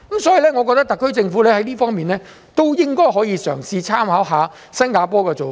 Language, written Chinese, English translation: Cantonese, 所以，我認為特區政府在這方面也應該可以嘗試參考新加坡的做法。, Therefore I consider the SAR Government can draw reference from Singapore in this respect